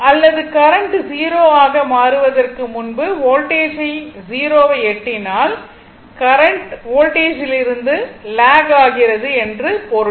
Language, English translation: Tamil, Or current reaching to 0 before your what you call after your voltage becomes 0 or currents lags from the voltage